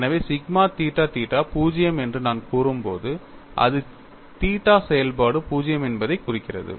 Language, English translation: Tamil, And, we already known sigma theta theta has to be 0, when alpha is specified, when theta is specified as some value of alpha